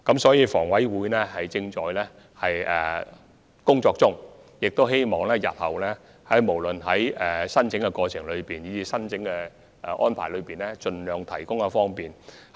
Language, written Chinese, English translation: Cantonese, 所以，房委會正在進行有關工作，務求日後無論在申請過程以至申請安排方面，均可盡量為市民提供方便。, As such HA is working on the matter with a view to making the application procedures and application arrangements more convenient to members of the public as far as possible in the future